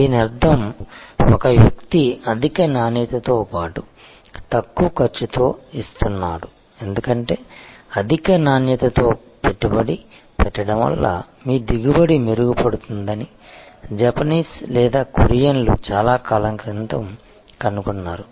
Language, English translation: Telugu, Which means, a person is giving high quality as well as low cost, because the Japanese or the Koreans they found long time back that investing in high quality improves your yield ultimately brings down your cost